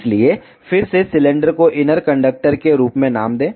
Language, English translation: Hindi, So, again make cylinder name it as inner conductor